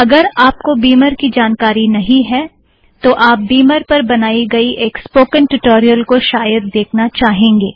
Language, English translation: Hindi, In case you dont know about Beamer, you may want to see the spoken tutorial on Beamer that I have created